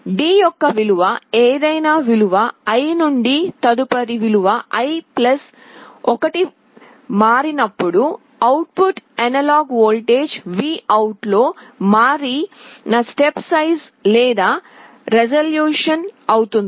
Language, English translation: Telugu, Whenever the value of D changes from any value i to the next value i+1, the change in the output analog voltage VOUT is the step size or resolution